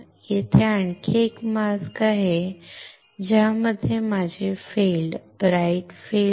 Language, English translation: Marathi, Here is another mask in which my field will not be bright field